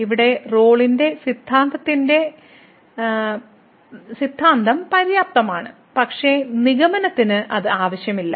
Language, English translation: Malayalam, So, here the hypothesis of the Rolle’s Theorem are sufficient, but not necessary for the conclusion